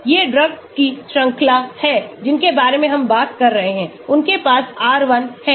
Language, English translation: Hindi, these are the series of drugs we are talking about, they have R1